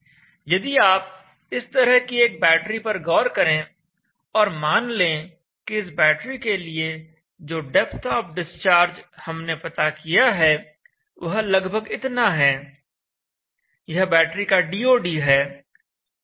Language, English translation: Hindi, Now if you take a battery like this and let us say that, the depth of the discharge that we have find out for that battery is round so much